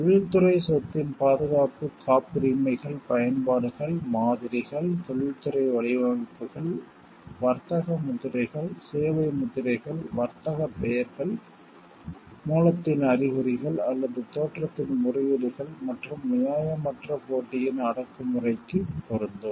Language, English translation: Tamil, The protection of the industrial property is applicable to patents, utility models, industrial designs, trademarks, service marks, trade names, indications of source or appellations of origin and the repression of unfair competition